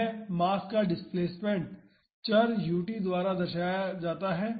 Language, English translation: Hindi, The displacement of this mass is represented by the variable u t